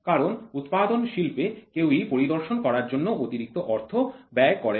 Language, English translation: Bengali, Because in manufacturing industry nobody is going to pay extra money for inspection